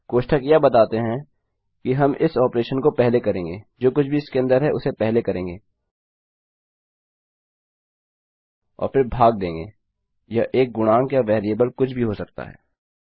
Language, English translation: Hindi, The brackets will say well take this operation first, do whatever is in here and then continue to divide by whatever this could be an integer or a variable